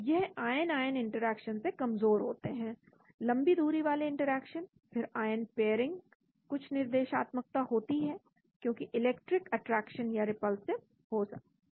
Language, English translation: Hindi, So these are weaker than ion ion interactions, long range interactions then ion pairing, some directionality is there because the interaction can be attractive or repulsive